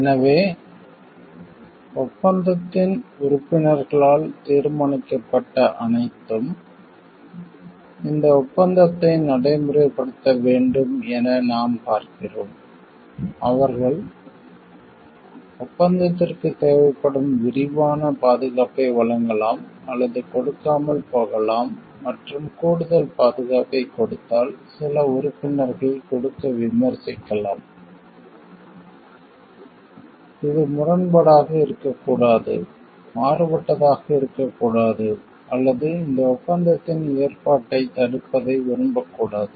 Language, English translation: Tamil, So, what we see like whatever is determined by the agreement members have to give effect to this agreement, they may or may not give more extensive protection that is required than that is required by the agreement and the more protection, if given if some member can criticize to give it should not be contravene, should not be contrasting or should not like block the provision of this agreement as we were discussing because should not be hampering the balancing act of this agreement